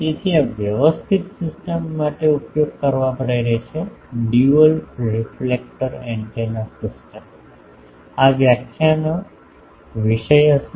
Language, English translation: Gujarati, So, this actually motivates to use for the sophisticated system, a dual reflector antenna systems this will be the topic of this lecture